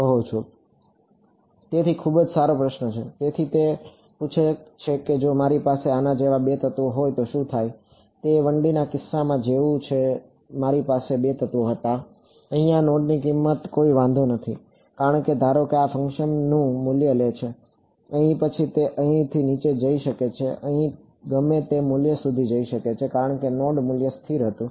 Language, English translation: Gujarati, So very good question; so, he has the asking what happens supposing I have 2 elements like this ok, it is the same as in the case of 1D I had 2 elements the value of this node over here did not matter, because supposing the shape function took its value over here then it can go down to here and go up to whatever value over here, because this node value was constant